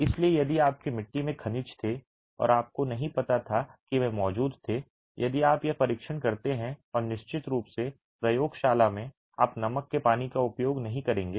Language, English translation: Hindi, So, if your clay had minerals and you didn't know that they were present, if you do this test and of course in the lab you are not going to be using salt water